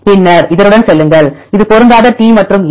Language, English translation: Tamil, And then go with this one; this is a mismatch T and A